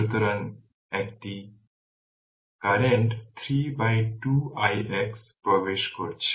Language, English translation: Bengali, So, one right another current 3 by 2 i x is also entering